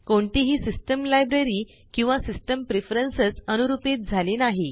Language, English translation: Marathi, No system library or system preferences are altered